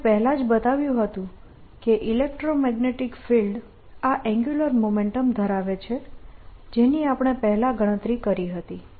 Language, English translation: Gujarati, we have already shown that the electromagnetic field carries this angular momentum which we calculated earlier